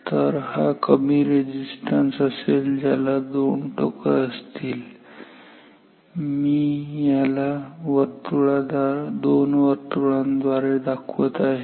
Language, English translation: Marathi, So, this is a low resistance, small resistance, low resistance with 2 terminals which I am drawing as 2 knobs 2 circles